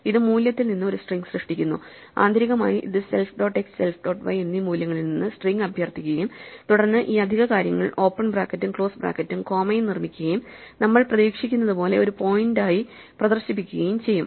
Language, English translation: Malayalam, This creates a string from the value, it internally invokes str on the values themselves self dot x and self dot y and then constructs these extra things the open close bracket and the comma to make it look like a point as we would expect